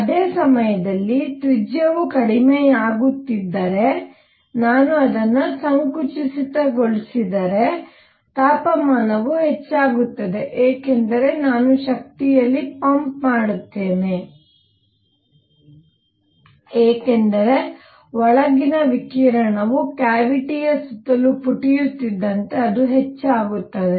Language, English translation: Kannada, At the same time, if I were to compress it if the radius was going down the temperature would go up because I will be pumping in energy something more happens as the radiation inside bounces around the cavity as it expands